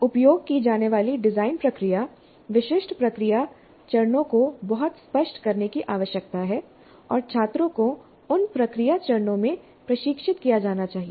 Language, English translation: Hindi, And the design process to be used, the specific process steps need to be made very clear and students must be trained in those process steps